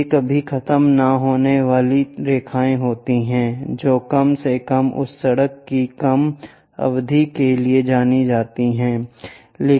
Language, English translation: Hindi, These are never ending lines which supposed to go, at least for that short span of that road